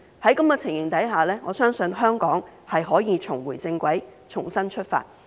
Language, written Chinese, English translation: Cantonese, 在這種情形下，我相信香港可以重回正軌，重新出發。, Under such circumstances I believe Hong Kong can get back on the right track and start afresh